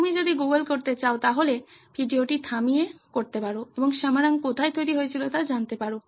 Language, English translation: Bengali, You can pause the video if you want to google and find out where Samarang was made